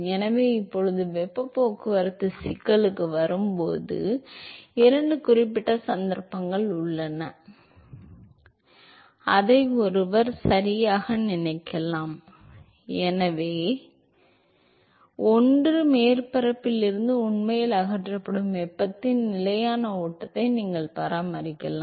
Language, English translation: Tamil, So, now when it comes to heat transport problem, so there are two specific cases that one can sort of think of right, so one is you can maintain a constant flux of heat that is actually removed from the surface